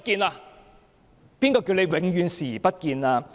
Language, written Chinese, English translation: Cantonese, 其實，誰叫他永遠視而不見？, In fact who would ask him to turn a blind eye to the defects forever?